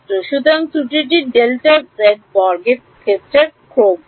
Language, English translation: Bengali, So, the error is order of delta z square